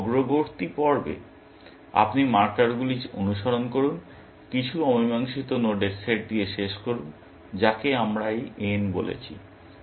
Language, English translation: Bengali, So, in the forward phase, you follow the markers, end up with some unsolved set of nodes, which we have called as this n